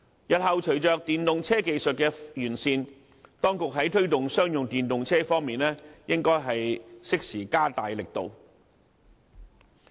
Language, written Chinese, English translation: Cantonese, 日後隨着電動車技術的完善，當局在推動商用電動車方面應該適時加大力度。, With the improvements in EV technologies in future the authorities should step up efforts to promote the use of commercial electric vehicles then